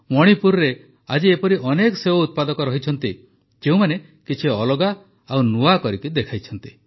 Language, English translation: Odia, There are many such apple growers in Manipur who have demonstrated something different and something new